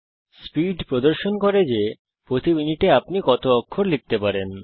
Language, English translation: Bengali, Speed indicates the number of characters that you can type per minute